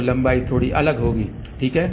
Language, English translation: Hindi, So, the lengths will be slightly different, ok